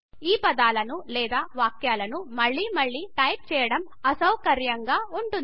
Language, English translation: Telugu, It can be cumbersome to type these sentences or words again and again